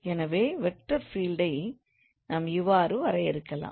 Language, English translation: Tamil, So that's how we define the vector field